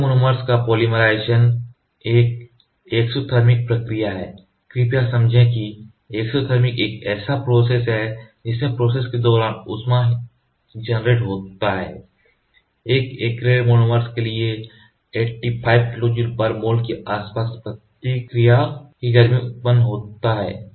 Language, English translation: Hindi, Polymerization of SL monomers is an exothermic reaction, please understand exothermic heat is generated during the curing process with heat of reaction around 85 kilo joule mole for an example acrylic monomer does